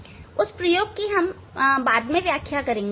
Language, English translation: Hindi, that I will explain later on